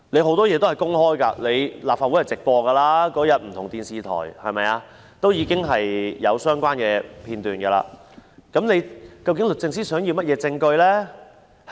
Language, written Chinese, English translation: Cantonese, 很多東西也是公開的，立法會會議是直播的，不同電視台也有當天的相關片段，究竟律政司想要甚麼證據呢？, A lot of things are now publicly available and Legislative Council meetings are broadcast live . Various television stations also have the relevant video footages of the day in question . What evidence does the Department of Justice actually want?